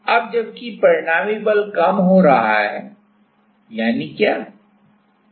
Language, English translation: Hindi, Now, while the resultant force is going down; that means what